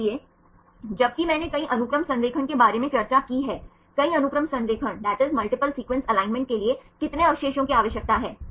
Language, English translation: Hindi, So, while I have discussed about multiple sequence alignment, how many residues are required for the multiple sequence alignment